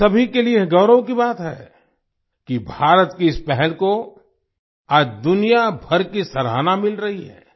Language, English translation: Hindi, It is a matter of pride for all of us that, today, this initiative of India is getting appreciation from all over the world